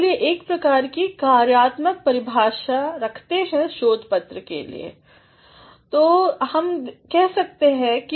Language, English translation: Hindi, Let us have a sort of working definition for a research paper